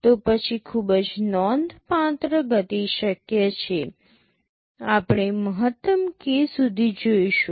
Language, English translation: Gujarati, Then it is possible to have very significant speed up, we shall see maximum up to k